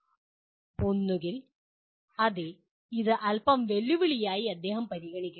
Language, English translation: Malayalam, Either he considers, yes it is a bit challenging